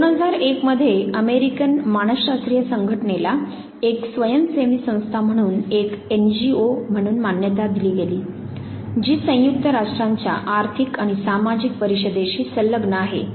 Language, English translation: Marathi, 2001 was when American psychological association was recognized as a non governmen organization as an NGO, affiliate of the united nations economic and social council